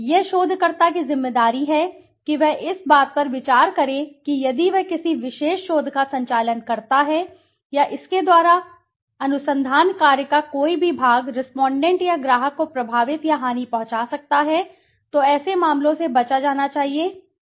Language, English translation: Hindi, It is the researcher s responsibility to consider that if he or she conducts a particular research and by this if any part of the research work could impact or harm the respondent or the client then such should be avoided, such cases should be avoided